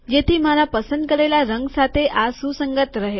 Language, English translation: Gujarati, So that this is consistent with this color that I have chosen